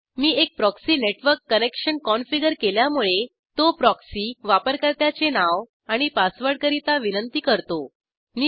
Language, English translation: Marathi, Since I have configured a proxy network connection, it will prompt me for the proxy username and password